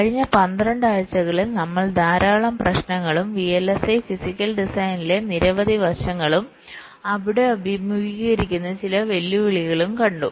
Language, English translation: Malayalam, so over the last to vlsi we have seen lot of issues, lot of aspects on vlsi physical design and some of the challenges that are faced there in